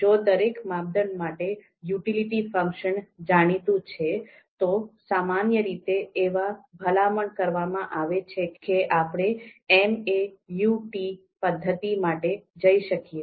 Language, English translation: Gujarati, So for example if the utility function for each criterion is known, then it is typically recommended that we can go for MAUT method MAUT method